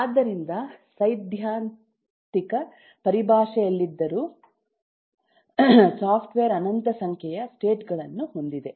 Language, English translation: Kannada, so even though in theoretical terms a software has infinite number of states, yet many of these states are intractable